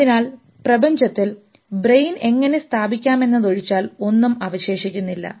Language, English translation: Malayalam, So, I don't think anything is left out except for how to place brain in the universe